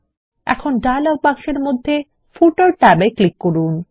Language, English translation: Bengali, Now click on the Footer tab in the dialog box